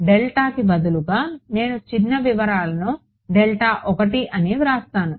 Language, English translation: Telugu, So, instead of delta, I will write delta 1 the minor details